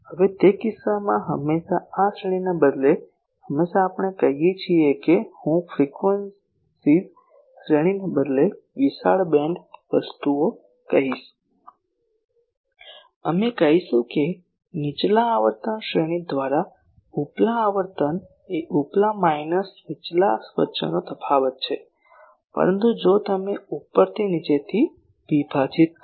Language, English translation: Gujarati, Now in that case always instead of this range sometimes we say that for I will say wide band things instead of range of frequencies we say the upper frequency by lower frequency range is a difference between upper minus lower, but if you divide upper by lower